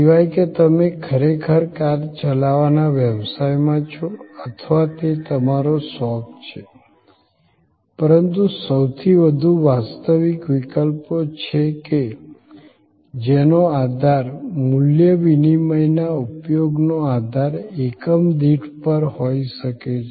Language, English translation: Gujarati, Unless, you really are in the profession of car driving or it is your hobby, but was most practical cases, then it could be based on this per unit of usage basis of value exchange